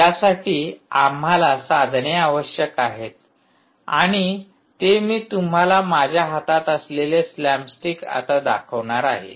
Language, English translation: Marathi, for that we need tools, and what i am going to show you now is a tool called slapstick